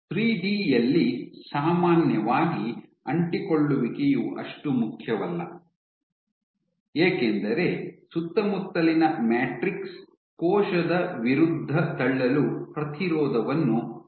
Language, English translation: Kannada, So, in 3D normally adhesion is not that important partly because the surrounding matrix can provide you the resistance for the cell to push against it